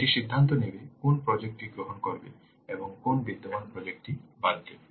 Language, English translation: Bengali, This will decide which project to accept and which existing project to drop